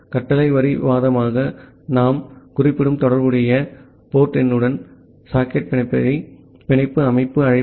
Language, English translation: Tamil, The bind system call is to bind the socket with the corresponding port number that we are specifying as a command line argument